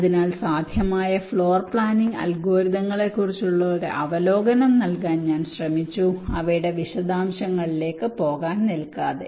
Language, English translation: Malayalam, so i just tried to give an overview regarding the possible floor planning algorithms without trying to go into the very details of them